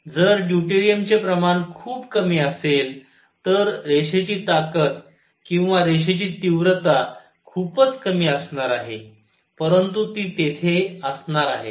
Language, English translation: Marathi, If the quantity is deuterium is very small, then the line strength or the intensity of line is going to be very small, but it is going to be there